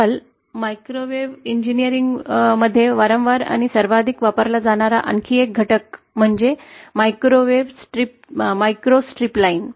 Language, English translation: Marathi, Another component that is frequently and most widely used in microwave engineering nowadays is the microstrip line